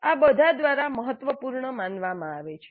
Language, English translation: Gujarati, This is considered important by all